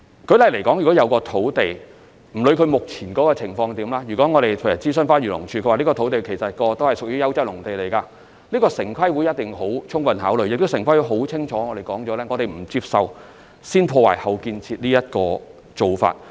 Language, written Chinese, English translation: Cantonese, 不論一塊土地目前的情況如何，如果我們在諮詢漁農自然護理署後得知該幅土地過往是優質農地，城規會一定會充分考慮，亦已清楚表明不接受"先破壞、後建設"的做法。, Disregarding the prevailing state of a piece of land if we learn from the Agriculture Fisheries and Conservation Department that it was once a piece of quality agricultural land TPB will surely take this into full consideration . Also TPB has made it clear that the act of destroy first and build later is unacceptable